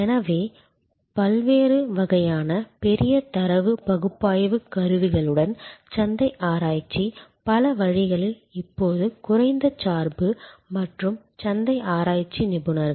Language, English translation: Tamil, So, with various kinds of big data analytic tools market research in many ways now are less dependent and market research experts